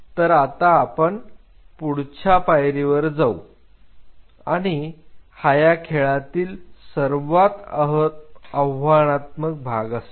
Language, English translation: Marathi, So, we are taking one step and the most challenging part of the game is something else